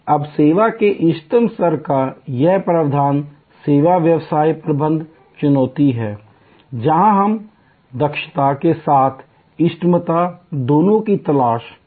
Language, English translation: Hindi, Now, this provision of the optimum level of service is the service business management challenge, where we are looking for both efficiency as well as optimality ((Refer Time